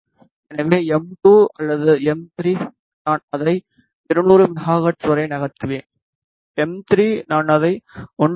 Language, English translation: Tamil, So, m 2 or m 3 I will move it to 200 megahertz, and m 3 I will slightly move it to 1